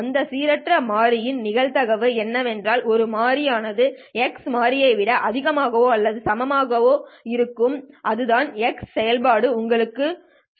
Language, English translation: Tamil, What is the probability that random variable will take on a value that is greater than or equal to x and that is what the Q function will tell you